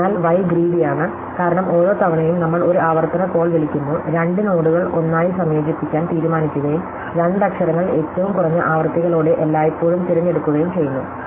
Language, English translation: Malayalam, So, why is this greedy, well because every time, we make a recursive call, we are deciding to combine two nodes into one and the two letters we are choose always once with the lowest frequencies